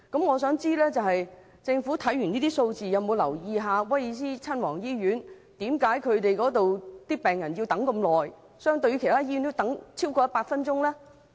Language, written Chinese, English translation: Cantonese, 我想問政府，它有否研究為何威爾斯親王醫院的病人需要等候特別長時間，相對其他醫院要多等100分鐘呢？, May I ask the Government whether it has ever looked into the reasons why patients of Prince of Wales Hospital must wait an extra 100 minutes when compared their counterparts in other hospitals?